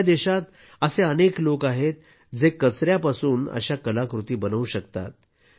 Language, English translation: Marathi, There are many people in our country who can make such artefacts from waste